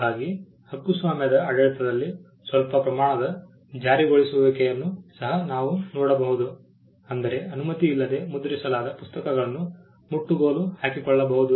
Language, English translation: Kannada, So, we can see some amount of enforcement also evolving in the copyright regime in the sense that books that were printed without authorisation could be confiscated